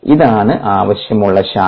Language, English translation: Malayalam, this is the desired branch